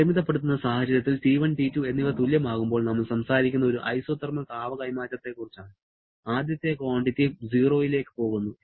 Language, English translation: Malayalam, In the limiting case, when T1 and T2 are equal that is we are talking about an isothermal heat transfer, this quantity goes to 0